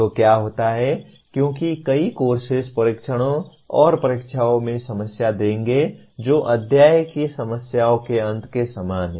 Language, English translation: Hindi, So what happens as many courses will give problems in tests and examinations which are very similar to end of chapter problems